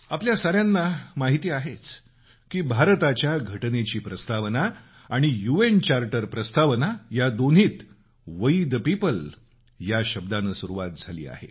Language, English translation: Marathi, You may be aware that the preface of the Indian Constitution and the preface of the UN Charter; both start with the words 'We the people'